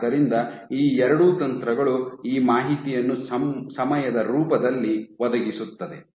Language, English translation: Kannada, So, both these two techniques will provide this in information in the form of time